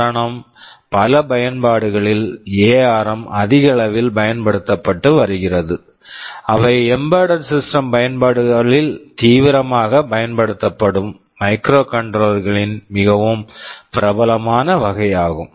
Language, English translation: Tamil, The reason is this ARM have has been this has been you can say increasingly used in many applications, they are the most popular category of microcontrollers which that has are seriously used in embedded system applications